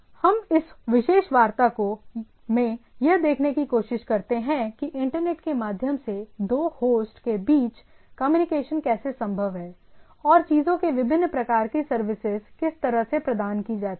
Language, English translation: Hindi, So, what we try to see in this particular talk is that how a communication between two host anywhere across the internet is possible by the, or different type of services are provided into the things